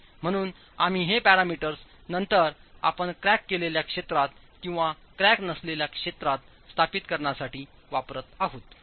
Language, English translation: Marathi, So, you're using these parameters to then establish if you're on the cracked region or the uncracked region